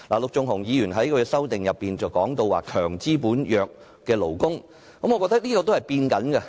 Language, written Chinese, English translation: Cantonese, 陸頌雄議員在修正案中提到"強資本、弱勞工"，我覺得這點也正在改變中。, Mr LUK Chung - hung mentioned strong capitalists and weak workers in his amendment . I think this situation is changing too